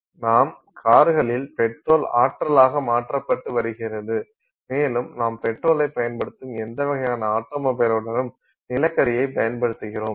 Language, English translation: Tamil, So, petrol is being converted to energy in our cars and with or in any kind of automobile that we are using, we are using petrol